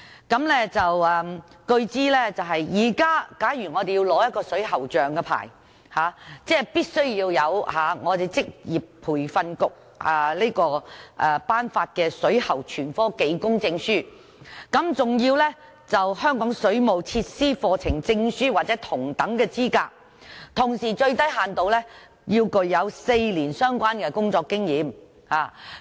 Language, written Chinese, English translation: Cantonese, 據我所知，假如現時我們要申領水喉匠牌照，必須具備職業訓練局頒發的水喉全科技工證書，更要求香港水務設施課程證書或同等資格，同時最低限度要具有4年相關工作經驗。, As I understand if a person wants to apply for a plumbers licence he has to possess a Craft Certificate in Plumbing and Pipefitting and a Certificate in Plumbing Services Hong Kong issued by the Vocational Training Council or an equivalent qualification and he should at least have four years of related working experience